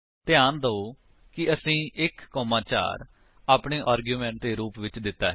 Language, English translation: Punjabi, Note that we have given 1, 4 as our arguments